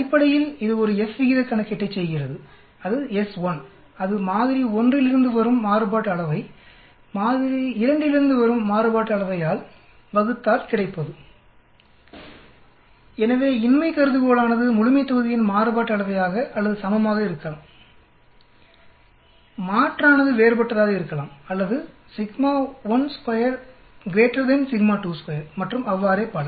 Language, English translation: Tamil, Basically, it does a F ratio calculation, that is s 1 square that is variance from sample 1 divided by variance from sample 2, so the null hypothesis will be the variances of the populations or equal, the alternate could be different or sigma 1 square greater than sigma 2 square and so on